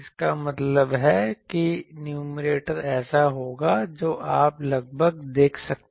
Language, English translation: Hindi, That means numerator will be so approximately you can see